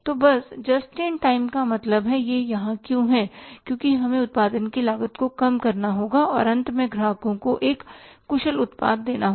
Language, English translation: Hindi, So, just in time is means why it is there because we have to reduce the cost of production and finally pass on an efficient product to the customers